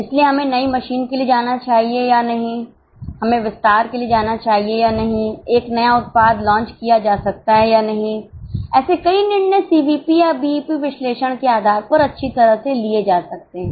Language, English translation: Hindi, So, whether we should go for new machine or no, whether we should go for expansion or no, whether a new product can be launched or no, many of such decisions can be well taken based on CVP or BP analysis